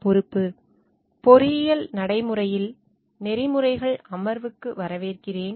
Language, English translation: Tamil, Welcome to the session of Ethics in Engineering Practice